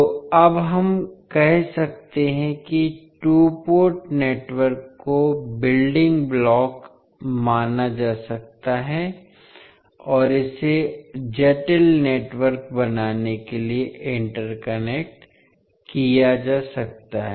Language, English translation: Hindi, So we can now say that the two port networks can be considered as a building blocks and that can be interconnected to form a complex network